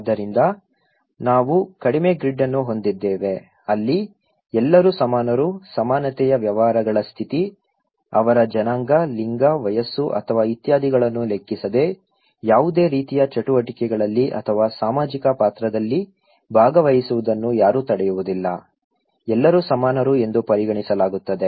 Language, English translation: Kannada, So, we have like low grid where everybody is equal, egalitarian state of affairs, no one is prevented to participate in any kind of activities or social role depending irrespective of their race, gender, age or so forth, everybody is considered to be equal